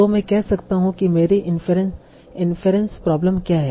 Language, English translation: Hindi, So I can say that what is my influence problem